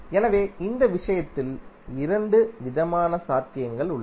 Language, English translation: Tamil, So in this case there are two possible options